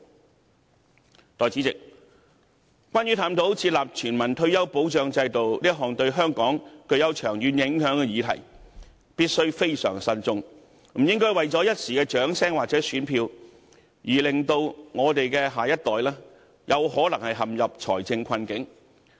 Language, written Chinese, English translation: Cantonese, 代理主席，有關探討設立全民退保制度這項對香港具長遠影響的議案，我們必須非常慎重，不應為了一時掌聲或選票，而令我們的下一代可能會陷入財政困境。, Deputy President careful consideration must be given to a motion that advocates studying the establishment of a universal retirement protection system which has long - term implications on Hong Kong . We should not put the next generation in financial difficulties for the sake of transient applauses or votes